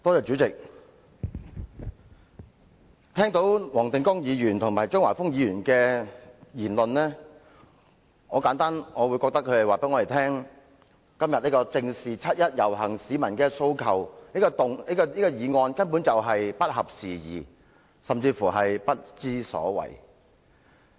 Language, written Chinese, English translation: Cantonese, 主席，聽到黃定光議員和張華峰議員的言論，我認為他們是想告訴我們，今天這項"正視七一遊行市民的訴求"的議案根本不合時宜，甚至是不知所謂。, President having listened to the speeches of Mr WONG Ting - kwong and Mr Christopher CHEUNG I think their message for us was that the motion today on Facing up to the aspirations of the people participating in the 1 July march is basically inopportune and even preposterous